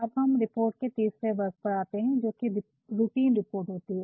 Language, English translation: Hindi, And, then we come to the third category of reports, which are routine reports